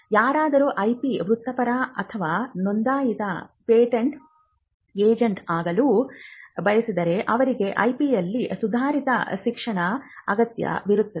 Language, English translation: Kannada, Now, if somebody wants to become an IP professional or even become a registered patent agent they would require advanced education in IP